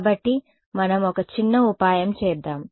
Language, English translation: Telugu, So, let us do a little bit of a trick ok